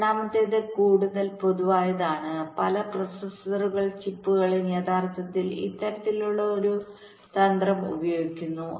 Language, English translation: Malayalam, the second one is more general and many processor chips actually use this kind of a strategy